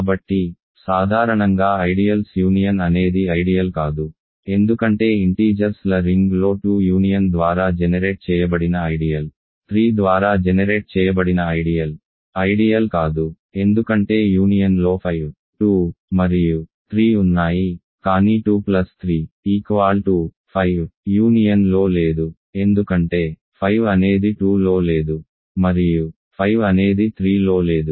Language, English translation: Telugu, So, in general the union of ideals is not an ideal because in the ring of integers, the ideal generated by 2 union the ideal generated by 3 is not an ideal because 5, 2 and 3 are in there in the union, but 2 plus 3, 5 is not in the union because 5 is not in 2 and 5 is not in 3